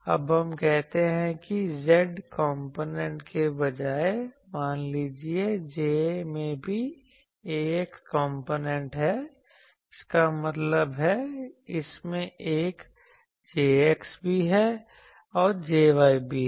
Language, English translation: Hindi, Now we say that instead of z component suppose J also has a x component; that means, it has a Jx and also a Jy